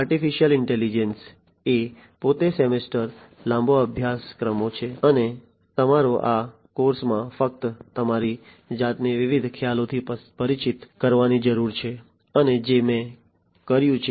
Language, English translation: Gujarati, Artificial intelligence are you know courses, semester long courses themselves and you know all you need to do in this course is just to get yourself exposed to the different concepts and which is what I have done